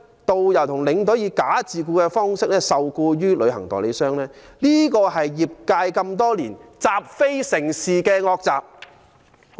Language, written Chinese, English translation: Cantonese, 導遊、領隊以"假自僱"方式受僱於旅行代理商，這是業界多年來習非成是的惡習。, Tourist guides and tour escorts are employed by travel agents in the form of false self - employment this wrongful practice which has been accepted as rightful in the trade